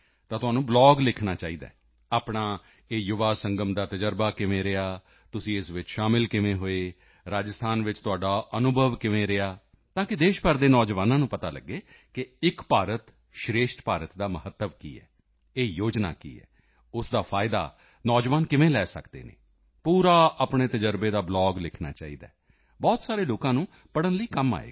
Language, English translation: Punjabi, Then you should write a blogon your experiences in the Yuva Sangam, how you enrolled in it, how your experience in Rajasthan has been, so that the youth of the country know the signigficance and greatness of Ek Bharat Shreshtha Bharat, what this schemeis all about… how youths can take advantage of it, you should write a blog full of your experiences… then it will be useful for many people to read